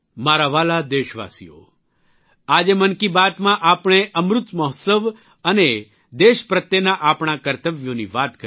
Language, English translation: Gujarati, My dear countrymen, today in 'Mann Ki Baat' we talked about 'Amrit Mahotsav' and our duties towards the country